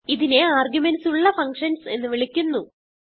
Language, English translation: Malayalam, And this is called as functions with arguments